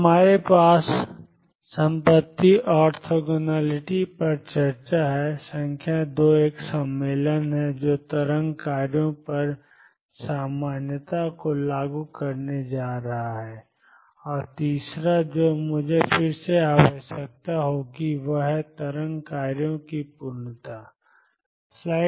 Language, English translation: Hindi, So, we have one discuss the property orthogonality, number 2 a convention that going to enforce normality on the wave functions, and third which I will require again is completeness of wave functions